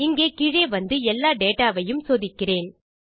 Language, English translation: Tamil, I will come down here and check for all of our data